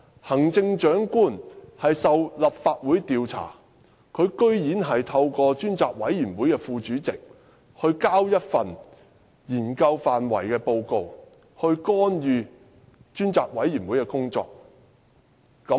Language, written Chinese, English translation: Cantonese, 行政長官受立法會調查，竟然透過專責委員會副主席提交一份研究範圍文件，以干預專責委員會的工作。, While being the subject of inquiry by the Legislative Council the Chief Executive interferes with the work of the Select Committee by submitting a paper thereto on its scope of study through the Deputy Chairman of the Select Committee